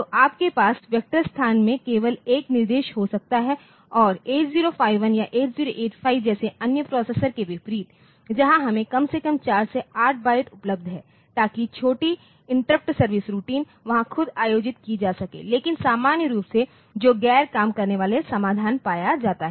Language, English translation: Hindi, So, you can have only one instruction in the in the vector location and unlike other processors like 8051 or 8085 so, where we have got at least 4 to 8 bytes available so that the small interrupt service routines can be held there itself, but in general so, that is found to be non working solutions